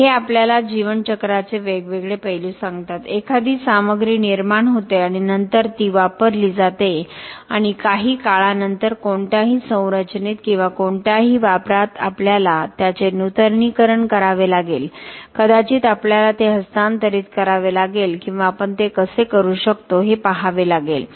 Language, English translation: Marathi, So, this tell us the different aspects of a lifecycle, a material is born and then it is used and after sometime in any structure or any application we might have to renew it we might have to transfer it or we have to see how we can reuse it